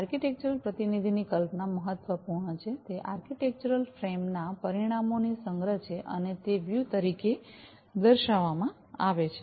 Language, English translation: Gujarati, The concept of architectural representation is important; it is the collection of outcomes of architectural frame and are expressed as views